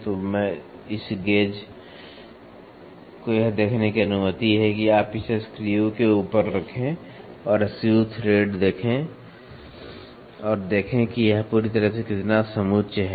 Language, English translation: Hindi, So, this gauge is allowed to see you just place this on top of the screw and then see screw threads and see how much it is perfectly setting